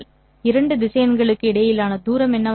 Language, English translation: Tamil, What would be the distance between these two vectors